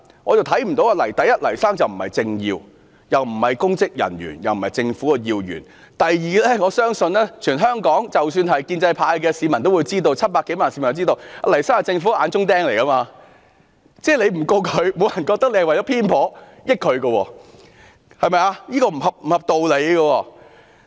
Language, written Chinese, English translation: Cantonese, 第一，黎先生既不是政治人物，也不是公職人員，更不是政府要員；第二，我相信全香港即使是建制派的市民也知道 ，700 多萬名市民也知道，黎先生是政府的眼中釘，政府不檢控他，不會有人認為是偏頗，這是不合理的。, First Mr Jimmy LAI is not a political figure . He is not a public official and he is not even an important government official . Second I believe Members of the public in Hong Kong including people from the pro - establishment camp and more than 7 million residents in Hong Kong know that Mr Jimmy LAI is a thorn in the eyes of the Government